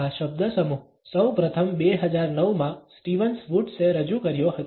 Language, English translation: Gujarati, The phrase was first all introduced by Stevens Woods in 2009